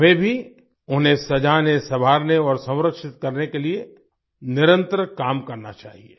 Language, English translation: Hindi, We should also work continuously to adorn and preserve them